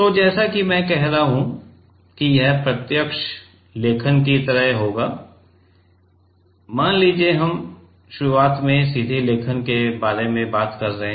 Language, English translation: Hindi, So, as I am saying that this will be like direct writing, let us say we are talking about initially direct writing right